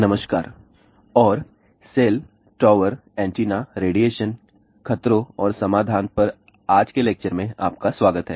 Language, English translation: Hindi, Hello and welcome to today's lecture on cell, tower, antenna, radiation, hazards and solutions